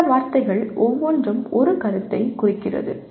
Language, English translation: Tamil, Each one of those words represents a concept